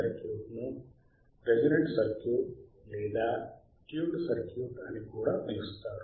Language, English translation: Telugu, tThis circuit is also referred to as resonant circuit or tuned circuit